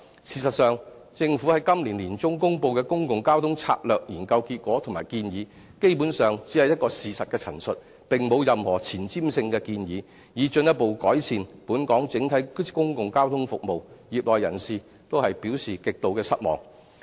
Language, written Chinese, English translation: Cantonese, 事實上，政府於今年年中公布的《公共交通策略研究》結果及建議，基本上只是一個事實的陳述，並無任何前瞻性的建議，以進一步改善本港整體的公共交通服務，業內人士均表示極度失望。, In fact the results and recommendations in the Public Transport Strategy Study released in the middle of this year by the Government are basically factual statements without any forward - looking recommendations to further improve the overall public transport services of Hong Kong . The people in the trade find it highly disappointing